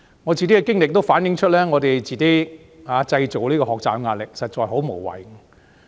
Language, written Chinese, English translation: Cantonese, 我自己的經歷反映，我們自己製造學習壓力，實在很無謂。, My personal experience has shown that it is pointless for us to create the pressures of study by ourselves